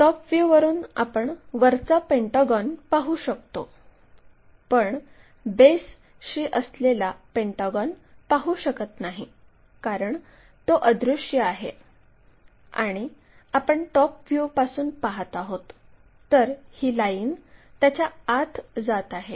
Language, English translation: Marathi, What we will see is the top pentagon; bottom one is anyway invisible and the line because we are looking from top view this line goes inside of that